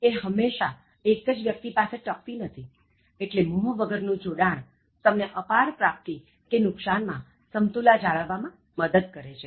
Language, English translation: Gujarati, So, it cannot remain stable forever with one person so, detached attachment helps in maintaining balance irrespective of huge gain or loss